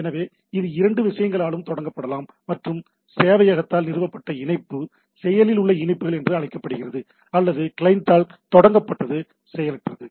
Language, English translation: Tamil, So, it can be initiated by the both the things and the connection established by the server are called active connections or the initiated by the client are passive